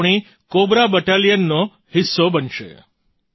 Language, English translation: Gujarati, They will be a part of our Cobra Battalion